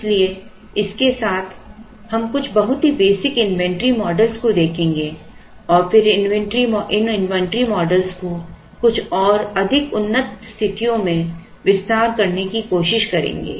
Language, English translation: Hindi, So, with this we will try and look at some very basic inventory models and then extend these inventory models to slightly more advanced situations